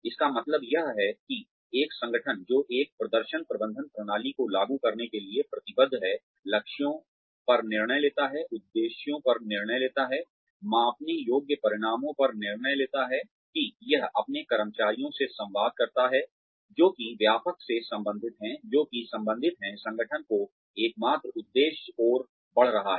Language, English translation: Hindi, This means, that an organization, that is committed to implementing a performance management system, decides on targets, decides on objectives, decides on the measurable outcomes, that it communicates to its employees, that are related to the wider, that are related to what the organization ultimately is heading towards